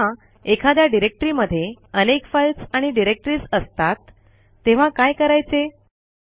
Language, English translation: Marathi, What if we want to delete a directory that has a number of files and subdirectories inside